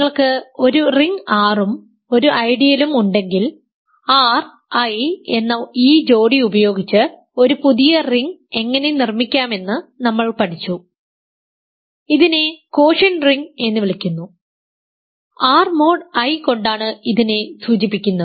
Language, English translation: Malayalam, If you have a ring R and an ideal we learnt how to construct a new ring using this pair R and I, called the quotient rings, quotient ring we denoted by R mod I